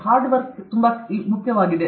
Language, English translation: Kannada, Hard work is very, very important